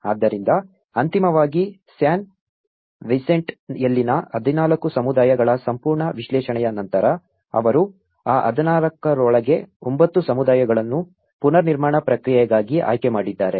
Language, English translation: Kannada, So finally, after having a thorough analysis of the 14 communities in San Vicente they have selected 9 communities within that 14, for the reconstruction process